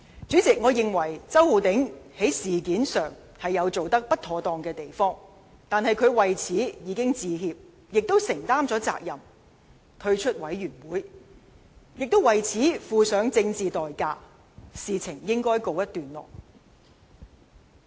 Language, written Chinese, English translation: Cantonese, 主席，我認為周浩鼎議員在這事上有做得不妥當之處，但他已為此致歉，並承擔了責任，退出專責委員會；他既已為此付上政治代價，事情本應告一段落。, President I think Mr Holden CHOW had not handled the matter properly but he had already apologized and accepted responsibility by withdrawing from the Select Committee . He had paid a price for it politically and the matter should have ended